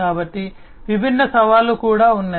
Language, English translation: Telugu, So, there are different challenges as well